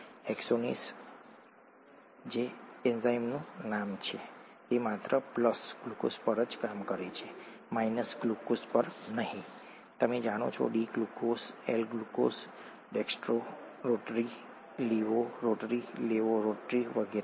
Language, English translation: Gujarati, The enzyme hexokinase, that’s the name of the enzyme, it can act only on glucose and not on glucose, you know, D glucose, L glucose, dextro rotary, leavo rotary, dextro rotary, leavo rotary and so on